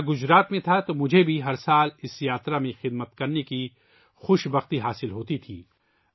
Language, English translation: Urdu, I was in Gujarat, so I also used to get the privilege of serving in this Yatra every year